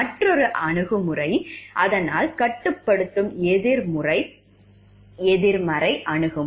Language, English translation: Tamil, Another approach is to, so that was a restricting negative approach